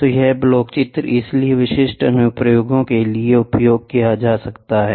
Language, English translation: Hindi, So, this block diagram so, it is a typical one which is used for the applications, right